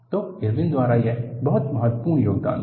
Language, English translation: Hindi, So, that was the very important contribution by Irwin